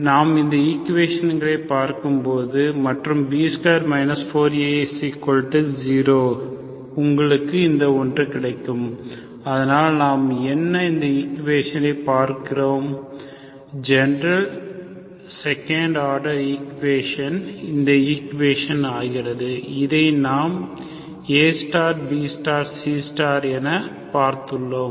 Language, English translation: Tamil, So we will just look at the equation and B square 4 AC is actually equal to 0 so you get, you get this one, so what we have seen is this equation, the general second order equation becomes this equation, this is what we have seen with this A star, B star, C star